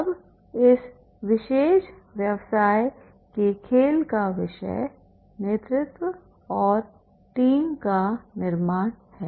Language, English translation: Hindi, Now this particular business game is the theme is the leadership and team building that laser